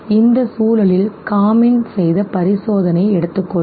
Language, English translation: Tamil, And in this context let us take the experiment done by Kamin